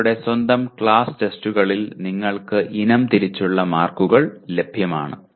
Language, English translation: Malayalam, Your own class tests you will have item wise marks available to you